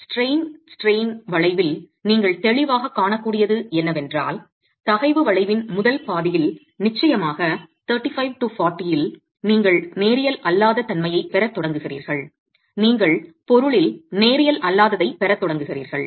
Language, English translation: Tamil, What you can clearly see in the stress strain curve is that at about 35, 40, definitely within the first half of the stress strain curve, you start getting non linearity